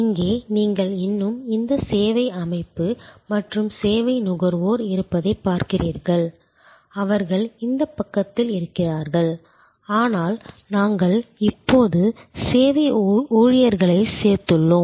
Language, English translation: Tamil, Here, as you see you still have this service organization and service consumer, they are on this side, but we have now included service employees